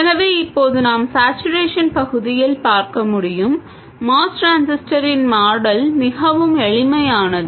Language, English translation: Tamil, So, now we can see in saturation region the model of the MOS transistor is very simple